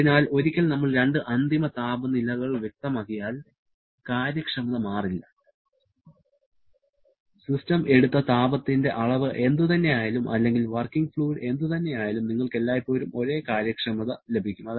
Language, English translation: Malayalam, So, once we specify the two end temperatures, the efficiency does not change, whatever may be the magnitude of heat drawn by the system or whatever may be the working fluid, you will always get the same efficiency